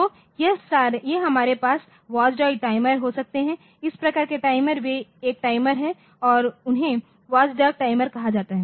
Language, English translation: Hindi, So, this a we can have this watchdog timer so, this type of timer they are one time timers and they are called watchdog timers